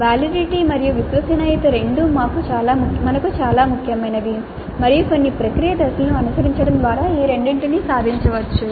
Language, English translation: Telugu, So, the validity and reliability both are very important for us and both of them can be achieved through following certain process steps